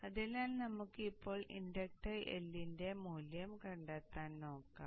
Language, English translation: Malayalam, So let us look at the inductor finding the value of i